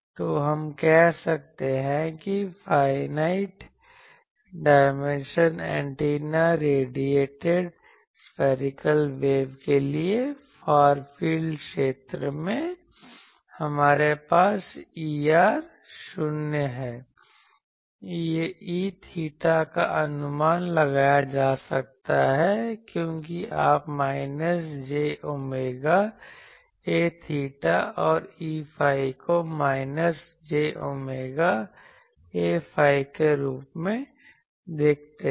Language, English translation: Hindi, So, we can say that in the Far field region for finite dimension antenna radiated spherical waves, we have E r is going to 0; E theta is can be approximated as you see minus j omega A theta and E phi as minus j omega A phi